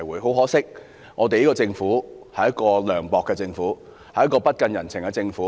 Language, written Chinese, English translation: Cantonese, 很可惜，這個政府是一個涼薄的政府，一個不近人情的政府。, Regrettably our Government is a hard - hearted government without compassion